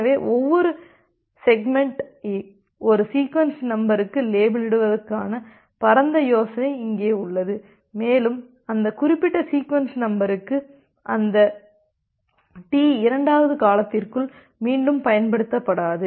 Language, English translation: Tamil, So, here is the broad idea that you label every segment to a sequence number, and that particular sequence number will not be reused within that T second duration